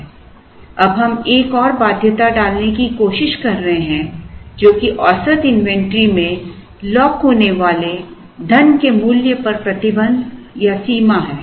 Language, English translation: Hindi, Now, we are trying to place another constraint which is a restriction or limit on the value of money that is being locked up in the average inventory